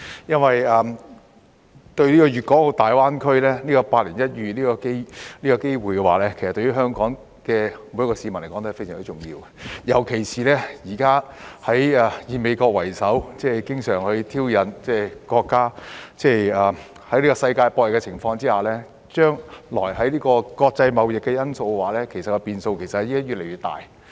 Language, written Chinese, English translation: Cantonese, 粵港澳大灣區這個百年一遇的機會對於每個香港市民也非常重要，尤其是現時以美國為首的經常挑釁國家，以及在世界博弈的情況下，將來國際貿易的變數會越來越大。, The once - in - a - hundred - year opportunity brought about by the development of the Guangdong - Hong Kong - Macao Greater Bay Area GBA is also very important to every person in Hong Kong especially when the United States is currently taking the lead to provoke the country and when there will be greater uncertainties in international trade in the future amidst the contest among countries